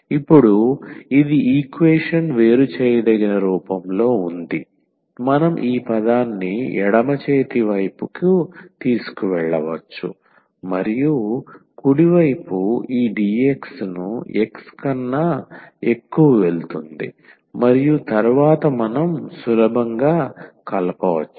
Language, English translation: Telugu, So, now, this equation is in separable form we can take this term to the left hand side and that the right hand side will go this dx over x and then we can integrate easily